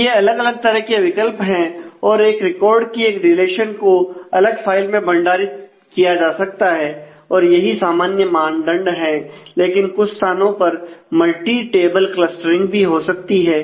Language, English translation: Hindi, So, these are the different option and a records of which relation may be stored in a separate file that is a basic convention, but in some cases there could be multi table clustering as well